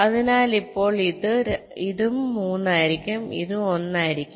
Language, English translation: Malayalam, so now this will also be three, this will also be one